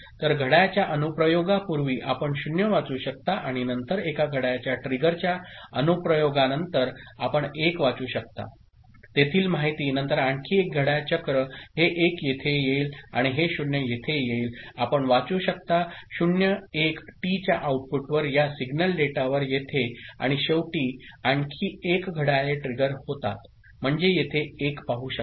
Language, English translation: Marathi, So, in the first before the application of the clock as it is, you can read 0 and then after application of one clock trigger you can read 1 the information there then one more clock cycle this 1 will come here and this 0 will come here you can read 0 one here at this signal data out at the output of T and finally, one more clocks trigger; you can see 1 over here right